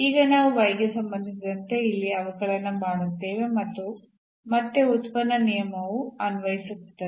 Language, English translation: Kannada, So, in now we will differentiate here with respect to y and again the product rule will be applicable